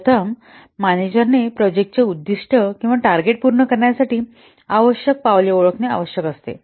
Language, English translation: Marathi, First, the manager has to identify the steps required to accomplish the set project objectives or the targets